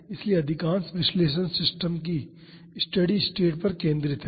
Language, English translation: Hindi, So, most of the analysis are focused on steady state of the system